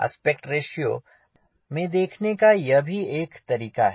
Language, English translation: Hindi, so this is another way of looking into aspect ratio